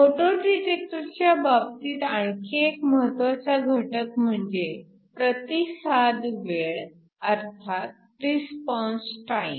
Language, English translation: Marathi, Another important factor in the case of a photo detector is the Response time